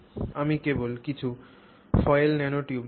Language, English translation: Bengali, So, I'll just show some coiled nanotubes